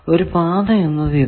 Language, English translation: Malayalam, So, there are two paths